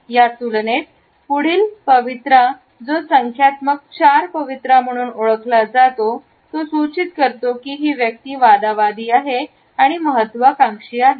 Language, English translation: Marathi, In comparison to that the next posture which is known as a numerical 4 posture suggests that the person is argumentative and opinionated